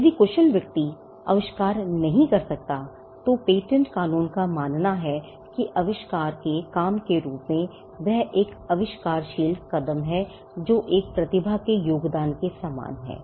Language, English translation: Hindi, If the skilled person could not have come up with the invention, then patent law regards that as a work of invention or rather the patent law regards that there is an inventive step, which is similar to the contribution of a genius